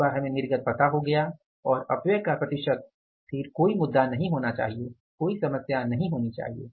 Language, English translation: Hindi, Once we know the output and the say the percentage of the waste, then there should not be any issue, there should not be any problem